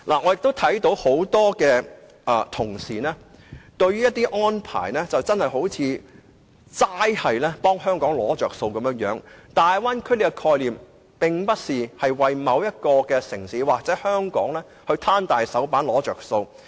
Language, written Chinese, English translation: Cantonese, 我發覺有不少同事均似乎傾向透過一些安排以為香港"攞着數"，但大灣區的概念，並非為香港或某一個城市"攤大手板""攞着數"。, I can actually observe a tendency among many Members to keep asking for certain arrangements that can benefit Hong Kong . But they must realize that this very conception of Bay Area development is simply not meant to allow Hong Kong or any particular city for that matter to ask for gains like a sponger